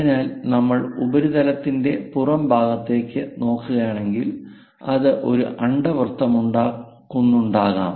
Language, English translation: Malayalam, So, if we are looking at on the exterior of the surface, it might be making an ellipse